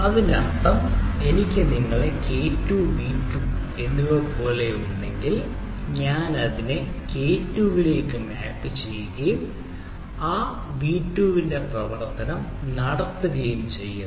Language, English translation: Malayalam, that means if i have, as you as k two, v two, then i map it to some k two and function of of that v two